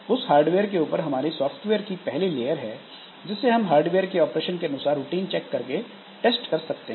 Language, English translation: Hindi, On top of that hardware, so the layer one software, so it can be tested by checking whether those routines are working in the context of operations by the hardware